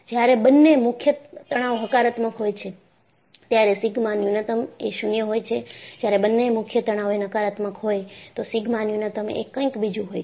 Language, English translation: Gujarati, When both the principal stresses are positive, sigma minimum will be 0; when both the principal stresses are negative, then sigma minimum will be something else